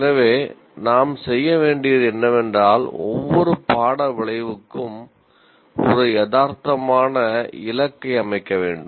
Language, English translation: Tamil, So what we have to do is we have to set up a realistic target for each course outcome